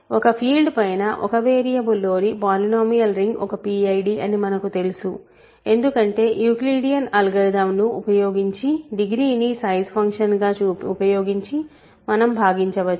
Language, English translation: Telugu, Because that separately we know because polynomial ring in one variable over a field is a PID because we can divide you use Euclidean algorithm to divide using the degree as our size function